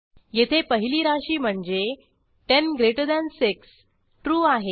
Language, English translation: Marathi, Here expression 1 that is 106 is true